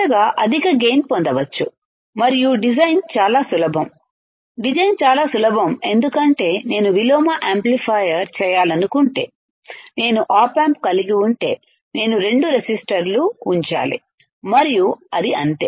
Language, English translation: Telugu, Finally, higher gain can be obtained and design is extremely simple, design is extremely simple why because if I have op amp if I may want to make inverting amplifier I have to just put two resistors and that is it